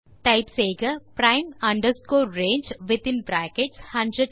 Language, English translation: Tamil, So you can type there prime range within brackets 100,200